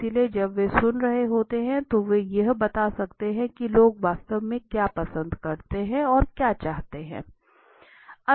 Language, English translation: Hindi, So when they are listening, they could have come out with what people actually like, what actually people want